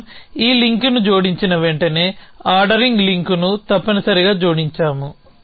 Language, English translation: Telugu, The moment we add this link we also added ordering link essentially